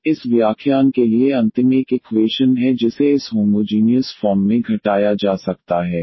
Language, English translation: Hindi, Now, the last one for this lecture we have the equations which can be reduced to this homogeneous form